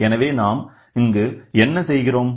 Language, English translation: Tamil, So, then what we write